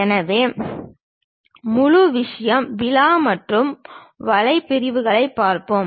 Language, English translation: Tamil, So, the first thing, let us look at rib and web sections